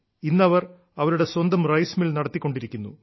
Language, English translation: Malayalam, Today they are running their own rice mill